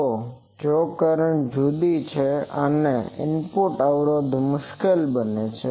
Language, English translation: Gujarati, So, if the current is different then, the input impedance will be difficult